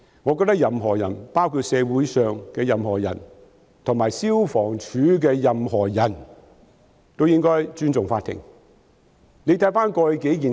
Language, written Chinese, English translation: Cantonese, 我覺得任何人，包括社會上任何人及消防處的任何人，均應該尊重法庭。, I think everyone including everyone in the community and everyone in the Fire Services Department should respect the Court